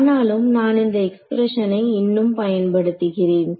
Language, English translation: Tamil, So,, but I am still using this expression